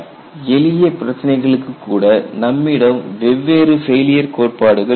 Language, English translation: Tamil, And you had even for simple problems, you had different failure theories